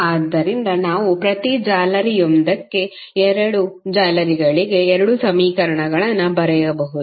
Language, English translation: Kannada, So, we can write two equations for both of the meshes one for each mesh